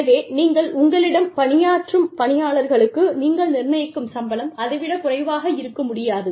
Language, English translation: Tamil, So, you are, the salary, you determine for your employees, cannot be less than that